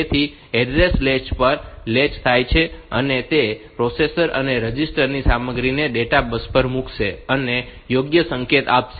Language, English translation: Gujarati, So, the address gets latch onto the address latch, and after that the processor will put the content of a register on to the data bus, and give the write signal